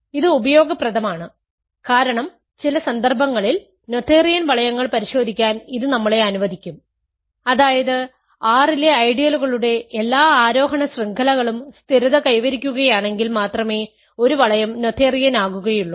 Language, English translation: Malayalam, So, the proposition that I want to prove and this is useful because it will allow us to check noetherian rings in some cases is that, a ring is noetherian if and only if every ascending chain of ideals in R stabilizes ok